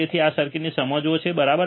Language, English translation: Gujarati, So, you understand this circuit, right